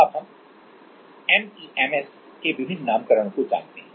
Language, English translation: Hindi, Now, we know different nomenclature of MEMS